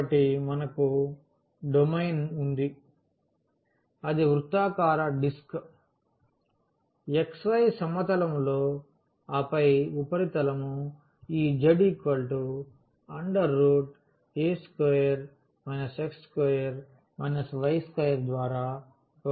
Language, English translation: Telugu, So, we have the domain now that is the circular disk in the xy plane and then the surface will be given by simply this z is equal to the square root a square minus x square minus y square